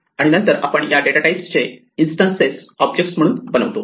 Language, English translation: Marathi, And then we create instances of this data type as objects